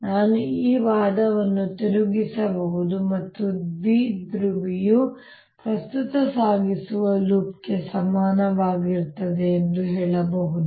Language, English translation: Kannada, i can turn this argument around and say that a dipole is equivalent to a current carrying loop